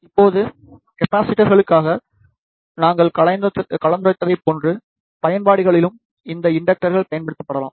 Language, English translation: Tamil, Now, these inductors can also be used in the similar applications as we discussed for the capacitors